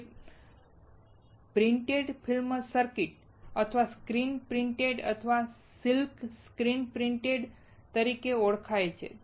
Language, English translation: Gujarati, Its known as printed film circuits or screen printing or silk screen printing